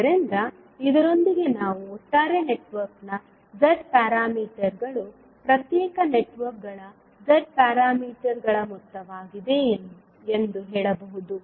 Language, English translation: Kannada, So, with this we can say that the Z parameters of the overall network are the sum of the Z parameters of the individual networks